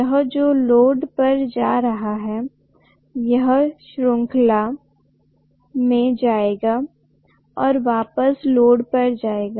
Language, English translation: Hindi, This is going to the load, this will come in series and go back to the load